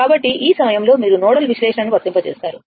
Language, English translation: Telugu, So, at this point, so, now you apply the nodal analysis